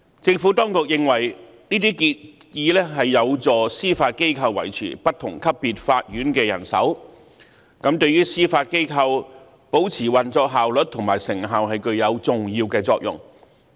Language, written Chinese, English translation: Cantonese, 政府當局認為，這些建議有助司法機構維持不同級別法院的人手，對於司法機構保持運作效率及成效具有重要的作用。, The Administration considered that the proposals would enable the Judiciary to sustain their manpower across different levels of court which was important to the efficient and effective operation of the Judiciary